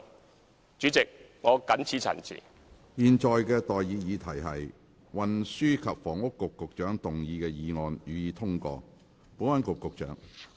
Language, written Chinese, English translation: Cantonese, 我現在向各位提出的待議議題是：運輸及房屋局局長動議的議案，予以通過。, I now propose the question to you and that is That the motion moved by the Secretary for Transport and Housing be passed